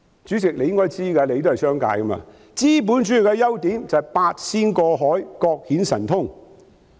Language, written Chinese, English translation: Cantonese, 主席，你也是從商的，應知道資本主義的優點就是"八仙過海，各顯神通"。, President you are also a businessman hence you should know that the merit of capitalism is that everybody has the opportunity to bring his or her talents into play